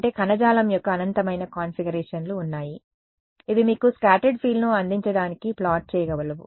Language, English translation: Telugu, That means, there are infinite possible configurations of the tissue which can conspire to give you the same scattered field